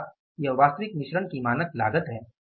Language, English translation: Hindi, So how much is the standard cost of standard mix